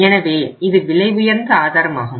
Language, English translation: Tamil, So this is expensive source